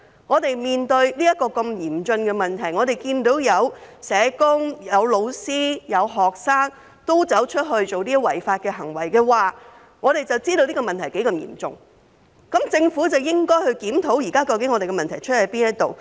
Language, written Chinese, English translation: Cantonese, 我們面對如此嚴峻的問題，當看到有社工、有老師、有學生均作出違法行為，便知道這個問題多麼嚴重，政府便應檢討現時的問題所在。, When we see that some social workers teachers and students have committed unlawful acts we know how serious the problem is and the Government should review and identify the existing problem